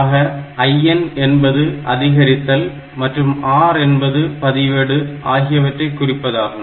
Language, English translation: Tamil, So, IN is increment an R it registers increment register A